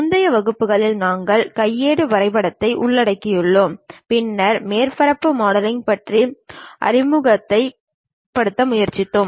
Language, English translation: Tamil, In the earlier classes, we have covered manual drawing, and also then went ahead try to introduce about surface modeling